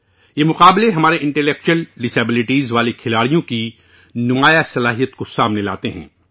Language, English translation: Urdu, This competition is a wonderful opportunity for our athletes with intellectual disabilities, to display their capabilities